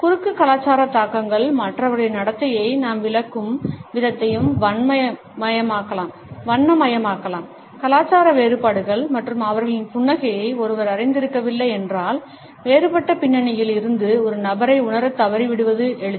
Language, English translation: Tamil, Cross cultural influences can also color the way we interpret the behavior of other people, if one is not aware of the cultural differences and their smiles then it is easy to miss perceived a person from a different background